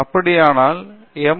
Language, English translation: Tamil, We do have an M